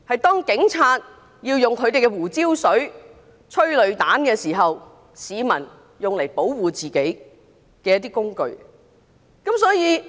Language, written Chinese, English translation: Cantonese, 當警察噴胡椒水、射催淚彈時，用來保護自己的工具。, At most it could only be a tool to protect oneself from pepper spray and tear gas rounds fired by the Police